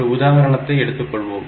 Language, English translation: Tamil, So, we will take an example